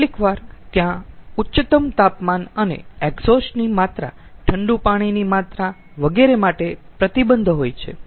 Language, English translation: Gujarati, sometimes there are restriction for the highest temperature and amount of exhaust, amount of cooling water to be taken, etcetera